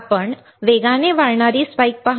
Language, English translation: Marathi, You see fast rising spike